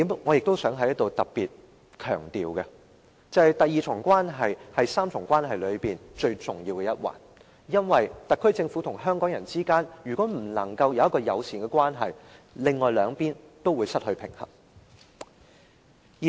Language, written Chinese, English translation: Cantonese, 我想在此特別強調一點，就是第二重關係是這3重關係中最重要的一環，如果特區政府與香港人之間不能維持友善的關係，另外兩邊亦會失去平衡。, Here I would like to stress one point that is the second part of the relationship is the most important link among the three . If the SAR Government and the people of Hong Kong cannot maintain a friendly relationship the other two parts will also lose balance